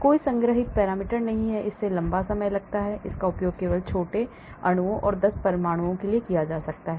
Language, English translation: Hindi, There are no stored parameters, it takes a long time, it can be used only for small molecules, 10s of atoms